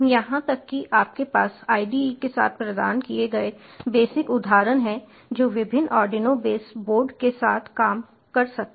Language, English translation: Hindi, you even have examples, basic examples, provided with the ide, which can work with various arduino base board